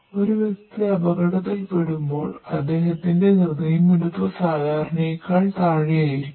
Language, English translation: Malayalam, So, that whenever person go through an accident, its heart beats pulse is basically below from the normal